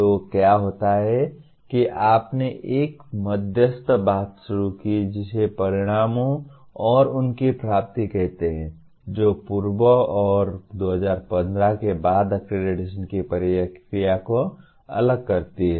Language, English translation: Hindi, So what happens you introduced one intermediary thing called outcomes and their attainment which differentiated pre and post 2015 accreditation process